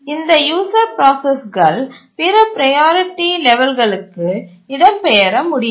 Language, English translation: Tamil, And the user processes cannot migrate to other priority levels